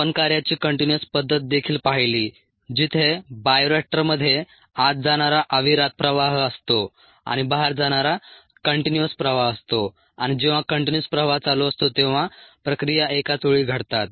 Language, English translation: Marathi, we also saw the continuous mode of operation where there is a continuous stream in and a continuous stream out of the bioreactor and the processes simultaneously take place